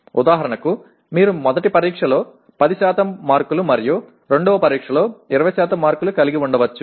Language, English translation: Telugu, For example you can have test 1 10 marks and 20 marks for test 2